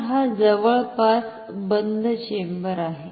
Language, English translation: Marathi, So, this is an almost closed chamber